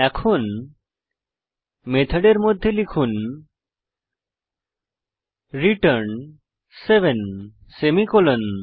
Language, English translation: Bengali, Now inside the method type return seven, semicolon